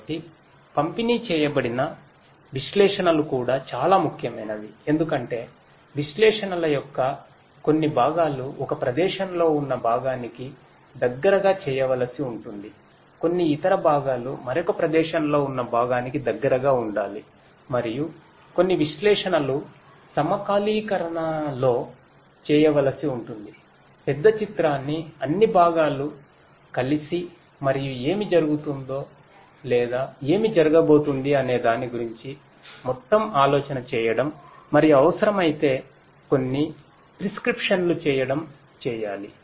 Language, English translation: Telugu, So, distributed analytics is also very important because certain parts of the analytics might have to be done close to the component located in one location, certain other parts close to the component located in another location and certain analytics will have to be done in synchrony you know putting together the bigger picture all the components together and an overall idea making an overall idea about what is happening or what is going to happen and making certain prescriptions if it is required